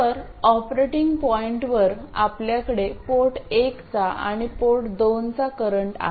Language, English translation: Marathi, So, at the operating point we have the port one and port two currents